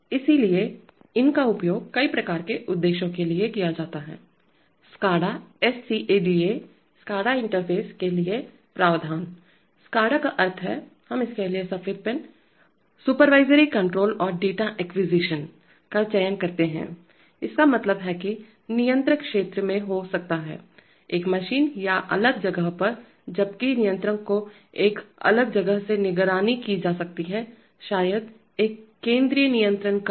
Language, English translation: Hindi, So these are used for a variety of purposes for example, provision for SCADA interface, SCADA stands for, SCADA stands for this one, we choose a white pen, supervisory control and data acquisition, it means that the controller can be in the field close to a machine or in a separate place, while the controller can be monitored from a different place, maybe a central control room